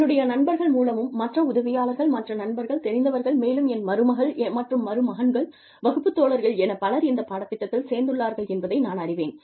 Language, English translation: Tamil, I come to know, through friends, whose helpers, whose friends, whose you know, my nieces and nephews, whose classmates, have enrolled for this course